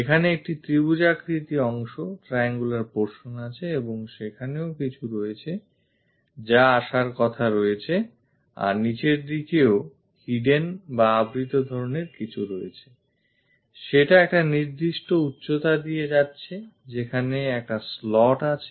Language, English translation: Bengali, There is a triangular portion here and there something like supposed to come and bottom there is something like hidden kind of thing is going at certain height there is a slot